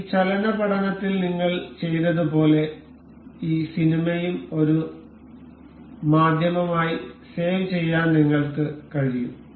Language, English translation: Malayalam, Similar to like that we have done in this motion study, we can also save this movie as a media